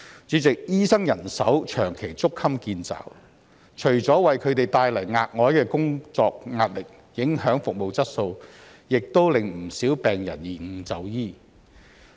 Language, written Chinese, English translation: Cantonese, 主席，醫生人手長期捉襟見肘，除了為他們帶來額外的工作壓力，影響服務質素，也令不少病人延誤就醫。, President the chronic shortage of doctors has not only brought additional work pressure to doctors but also affected the quality of service and caused delay in medical treatment for many patients